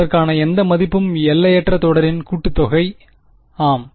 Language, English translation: Tamil, For no value for it is a the sum of the infinite series is that yeah